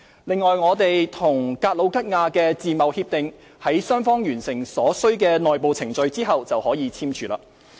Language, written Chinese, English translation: Cantonese, 另外，我們與格魯吉亞的自貿協定於雙方完成所需的內部程序後便可簽署。, In addition we will sign an FTA with Georgia upon the completion of all the necessary internal procedures by both parties